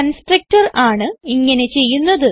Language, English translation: Malayalam, This work is done by the constructor